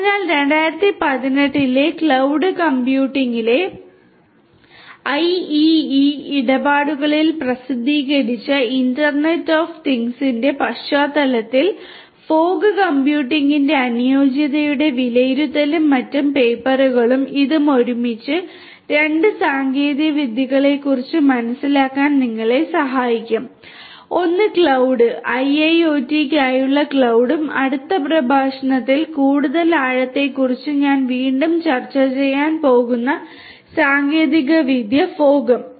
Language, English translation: Malayalam, So, Assessment of the Suitability of Fog Computing in the Context of Internet of Things which was published in the IEEE Transactions on Cloud Computing in 2018 and so the other papers and this one together will help you to get an understanding of 2 technologies; one is cloud; cloud for IIoT and also the newer upcoming technology fog which I am going to again discussing further depth in the next lecture